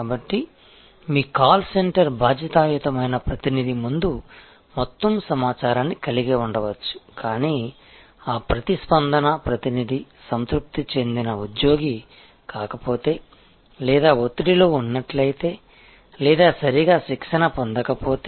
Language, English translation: Telugu, So, your call center may have all the information in front of the response representative, but if that response representative is not a satisfied employee or is in a state of stress or has not been properly trained